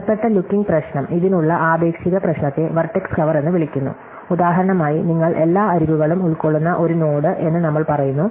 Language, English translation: Malayalam, So, a related looking problem, relative problem to this is called vertex cover, we say that a node you covers every edge that is instance